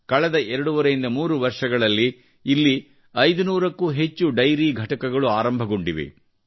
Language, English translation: Kannada, During the last twoandahalf three years, more than 500 dairy units have come up here